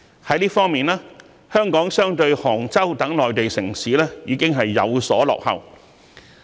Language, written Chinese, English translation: Cantonese, 在這方面，香港比起杭州等內地城市已有所落後。, In this connection Hong Kong is lagging behind some Mainland cities like Hangzhou